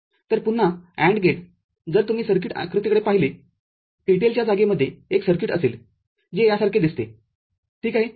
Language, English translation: Marathi, So, AND gate again, if you look at the circuit diagram, will be having a circuit in the TTL space which is which looks something like this ok